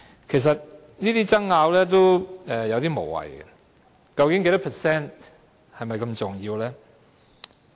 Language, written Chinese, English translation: Cantonese, 其實，這些爭拗有點無謂，究竟有關百分比是否如此重要呢？, Indeed these arguments are somehow meaningless . Is the percentage really so important?